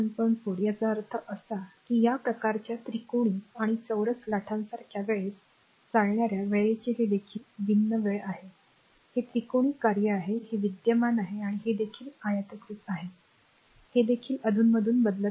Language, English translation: Marathi, 4; that means, this one such the other types of time warring current such as the triangular and square wave, this is also time warring current this is triangular function this is current and this is also it is rectangular one, this is also changing periodically